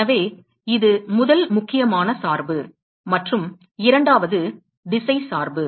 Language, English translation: Tamil, So, this is the first important dependent and the second one is the directional dependence